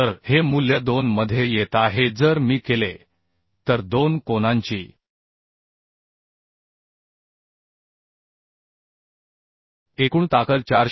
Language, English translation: Marathi, 1 so this value is coming into 2 if I make then the total strength of the two angles this will be 415